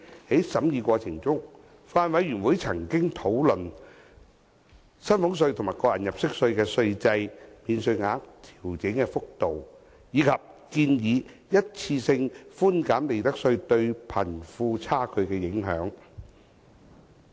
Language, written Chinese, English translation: Cantonese, 在審議過程中，法案委員會曾討論薪俸稅及個人入息課稅的稅制、免稅額的調整幅度，以及建議的一次性寬減利得稅對貧富差距的影響。, In the scrutiny process the Bills Committee discussed the tax regime concerning salaries tax and tax under personal assessment the levels of adjusting tax allowances and the impact of the proposed one - off reduction of profits tax on the wealth gap